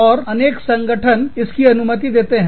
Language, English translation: Hindi, And, many organizations, permit this